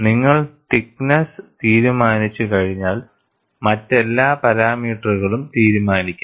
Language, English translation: Malayalam, Once you decide the thickness, all other parameters would be decided